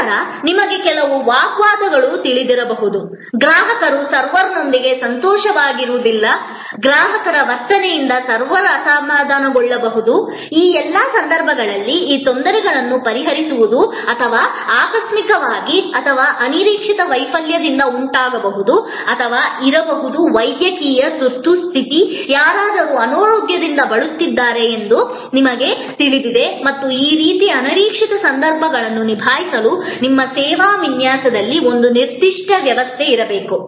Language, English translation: Kannada, Then, there could be you know some altercation, a customer may not be happy with the server, the server maybe upset with the customer behavior, in all these cases, these resolving of the difficulties or cause by accident or unforeseen failure or there could be a medical emergency, you know somebody maybe certainly sick and there has to be a certain system in your service design to handle these kind of unforeseen situations